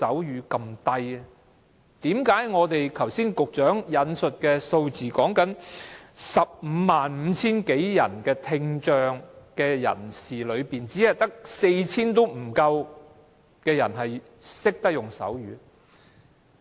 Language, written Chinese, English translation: Cantonese, 何解剛才局長引述的數字，在有關 155,000 多名聽障人士中，只有不足 4,000 人懂手語？, How come the number of persons with hearing impairment who know sign language as disclosed by the Secretary a moment ago is just 4 000 out of 155 000?